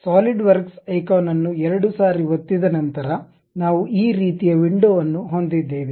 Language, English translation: Kannada, After double clicking the Solidworks icon, we will have this kind of window